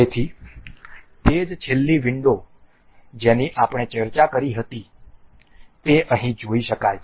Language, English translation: Gujarati, So, the same last window that we are we were discussing can can be seen here